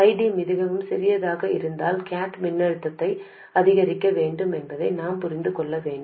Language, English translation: Tamil, What we realize is if ID is too small we had to increase the gate voltage